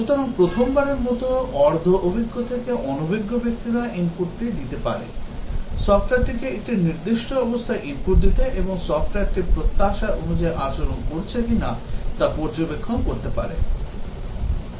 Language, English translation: Bengali, So, the first time, semi experienced to inexperienced persons, they can give the input, take the software to a specific state give the input and observe whether the software is behaving as expected